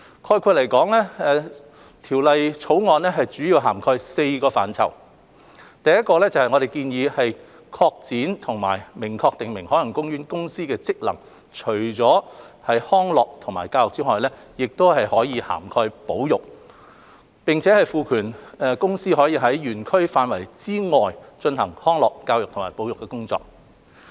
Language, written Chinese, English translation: Cantonese, 概括而言，《條例草案》主要涵蓋4個範疇：第一，我們建議擴展和明確訂明海洋公園公司的職能，即除卻康樂和教育外，亦涵蓋保育；並賦權公司可在園區範圍以外進行康樂、教育及保育的工作。, In short the Bill mainly covers four areas First we propose expanding and expressly stating the functions of OPC to include conservation on top of recreation and education and empowering OPC to carry out functions relating to recreation education and conservation outside OP